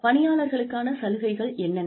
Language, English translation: Tamil, What are employee benefits